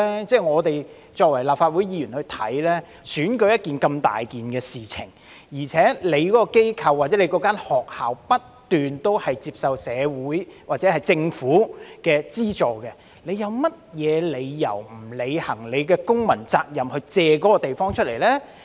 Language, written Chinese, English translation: Cantonese, 由我們立法會議員看來，選舉是如此重大的事情，而且機構或學校不斷接受社會或政府的資助，有甚麼理由不履行公民責任，借出地方呢？, From the perspective of us Legislative Council Members as the election is such an important event and organizations or schools are constantly receiving grants from the community or the Government do they have any reason not to fulfil their civic duty and make available their premises?